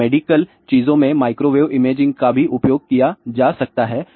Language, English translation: Hindi, Now, microwave imaging can also be use in the medical things